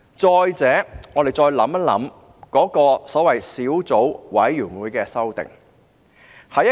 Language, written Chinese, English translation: Cantonese, 再者，我們再想一想所謂小組委員會提出的修訂。, Besides let us think about the so - called amendments proposed by the subcommittee